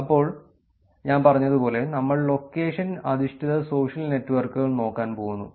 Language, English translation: Malayalam, So, as I said, we are going to look at location based social network